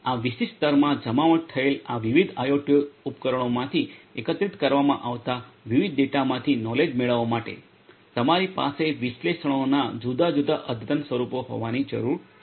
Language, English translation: Gujarati, And in order to get the knowledge out of the different data that are collected from these different IoT devices that are deployed in this particular layer; you need to have different advanced forms of analytics in place